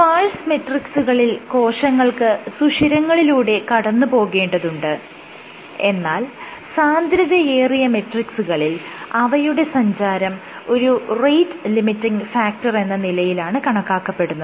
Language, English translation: Malayalam, So, in sparse matrices cells might actually pass through the pores; however, in very dense matrices, when the matrix is very dense migrating becomes a rate limiting factor